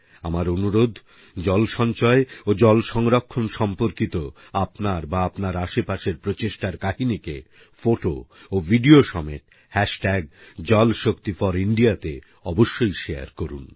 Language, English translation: Bengali, I urge you to share without fail, stories, photos & videos of such endeavours of water conservation and water harvesting undertaken by you or those around you using Jalshakti4India